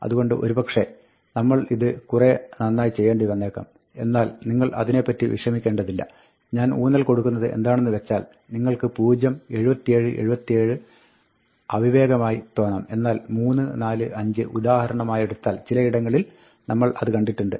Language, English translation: Malayalam, So, we should probably have done this better, but you will not worry about that but, what I want to emphasize is that, you see things like, say, you see 0, 77, 77, which is a stupid one; but, let us see, for instance, you say, you see 3, 4, 5